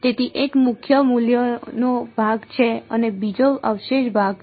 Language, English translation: Gujarati, So, one is the principal value part and the second is the residue part right